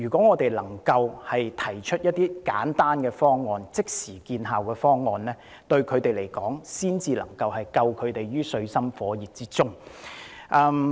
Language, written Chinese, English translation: Cantonese, 我們必須提出一些簡單、即時見效的方案，才能夠把他們拯救於水深火熱之中。, We must put forward some simple and instantly effective proposals to save them from deep water . When I was small I was also a new arrival